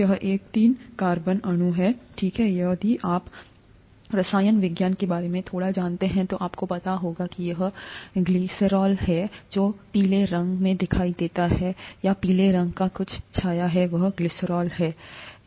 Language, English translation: Hindi, This is a three carbon molecule, okay, if you know a bit of chemistry you would know this is glycerol, the one that is shown in yellow or some shade of yellow there, is glycerol